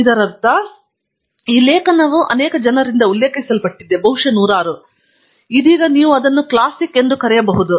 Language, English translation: Kannada, What we mean by that is there is an article that has been referred by so many people, maybe hundreds, that you could now call it as a classic